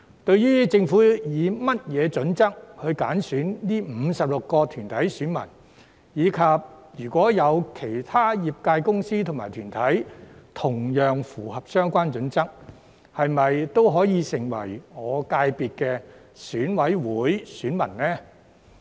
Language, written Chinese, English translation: Cantonese, 對於政府以甚麼準則挑選這56個團體的選民，以及如果有其他業界公司和團體同樣符合相關準則，是否也可以成為我界別的選委會選民呢？, What are the criteria adopted by the Government in selecting the 56 corporate electors? . If other enterprises and organizations in the subsector can meet such criteria will they be eligible to become the EC electors of my subsector?